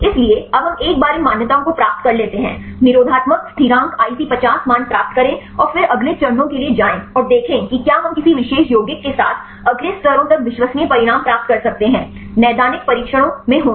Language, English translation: Hindi, So, now, we go once we get these validations; get the inhibitory constants IC50 values then go for next steps and see whether we can get reliable results with a particular compounds to the next levels; to be in the clinical trials